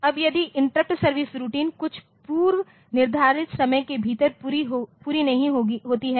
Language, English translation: Hindi, Now, if this interrupt service routine is not complete within some pre defined time